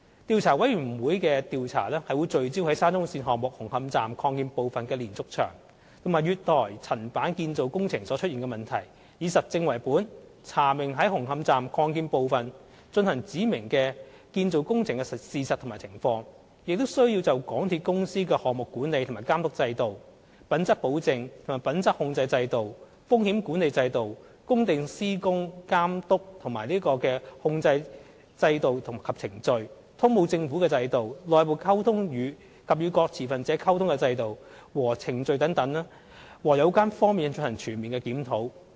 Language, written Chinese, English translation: Cantonese, 調查委員會的調查會聚焦在沙中線項目紅磡站擴建部分的連續牆及月台層板建造工程所出現的問題，以實證為本，查明在紅磡站擴建部分進行指明的建造工程的事實和情況，亦須就港鐵公司的項目管理和監督制度、品質保證和品質控制制度、風險管理制度、工地施工監督和控制制度及程序、通報政府的制度、內部溝通及與各持份者溝通的制度和程序等各有關方面進行全面檢討。, The subject of the commissions inquiry will be firmly focused on the problems exposed in respect of the diaphragm wall and platform slab construction works at the Hung Hom Station Extension under the SCL Project . The inquiry will also be evidence - based to ascertain the facts and circumstances of specified construction works carried out at the Hung Hom Station Extension . In addition the commission will also comprehensively review the relevant aspects of MTRCLs project management and supervision system quality assurance and quality control system risk management system site supervision and control system and processes system on reporting to Government system and processes for communication internally and with various stakeholders and so on